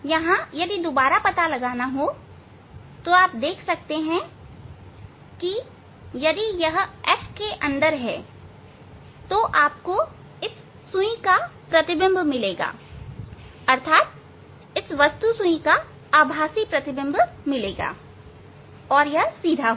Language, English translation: Hindi, here that how to find out again you can see if it is within the f, so you will get the image of this needle, object needle as a virtual image and it is a erect one